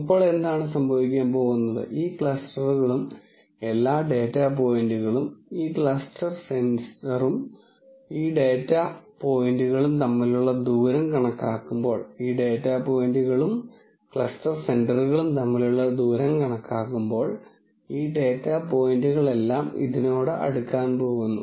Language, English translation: Malayalam, Then what is going to happen is that when you calculate the distance between this cluster and all of these data points and this cluster center and all of these data points, it is going to happen that all these data points are going to be closer to this and all of these data points are going to be closer to this than this point